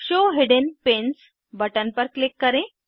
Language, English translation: Hindi, Click on the Show hidden pins button